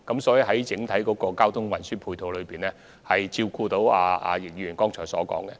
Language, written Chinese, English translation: Cantonese, 所以，整體交通運輸的安排已能照顧易議員剛才提及的情況。, Therefore I will say that the overall transport arrangements are already able to cater for the situation mentioned by Mr YICK just now